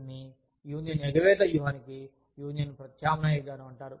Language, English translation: Telugu, This is called the, union substitution approach to union avoidance strategy